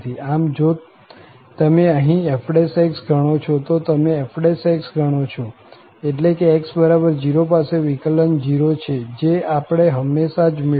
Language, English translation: Gujarati, So, if you compute here f prime , if you compute f prime that means at x equal to 0, the derivative is 0 we have just evaluated